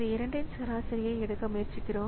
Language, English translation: Tamil, So, we try to take an average of these two